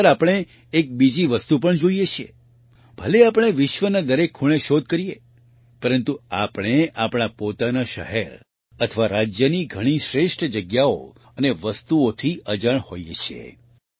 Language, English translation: Gujarati, Often we also see one more thing…despite having searched every corner of the world, we are unaware of many best places and things in our own city or state